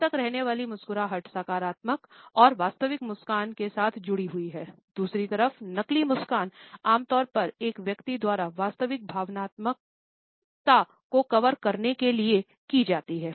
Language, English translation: Hindi, A lingering smile is associated with a positive and a genuine smile, on the other hand a fake smile is normally taken up by a person, used by a person to cover the real emotional state